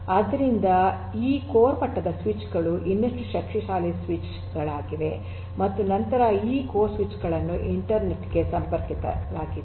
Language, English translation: Kannada, So, these core level switches are even more powerful switches and then you have these core switches connect to the internet connect to the internet